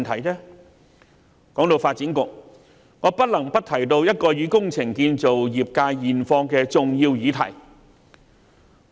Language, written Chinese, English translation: Cantonese, 談到發展局，我不能不提到一項與工程建造業界現況相關的重要議題。, Speaking of the Development Bureau I cannot but have to mention an important issue related to the current situation faced by the engineering and construction sectors